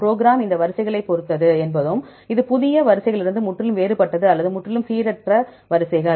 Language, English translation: Tamil, Whether the program depends upon these sequences are also, this different from the new set of sequences or completely randomized sequences